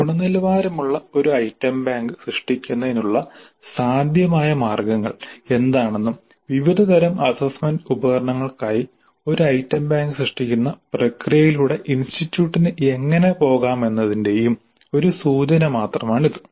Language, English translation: Malayalam, It is only an indicative of what are the possible ways of creating a quality item bank and how can the institute go about the process of creating an item bank for different types of assessment instruments